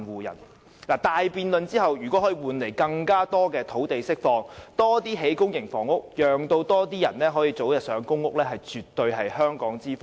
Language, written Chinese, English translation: Cantonese, 如果大辯論後可以換來政府釋放更多土地，興建更多公營房屋，讓更多人可以早日入住公屋，絕對是香港之福。, If after the big debate the Government will release more land for public housing construction so that more people will be allocated PRH units earlier this is definitely a blessing for Hong Kong